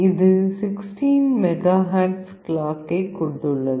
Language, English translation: Tamil, It has a 16 MHz clock